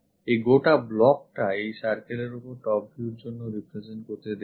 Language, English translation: Bengali, This entire block for the top view represented for that on this circle we will see that